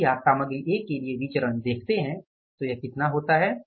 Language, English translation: Hindi, If you see this variance for the material A this works out as how much